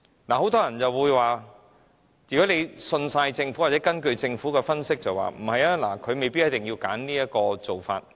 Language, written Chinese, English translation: Cantonese, 很多人會說，如果完全信任政府或根據政府的分析，它們未必一定要選擇這種做法。, Many people who completely trust the Government or rely totally on its analysis believe that those companies may not necessarily opt for this regime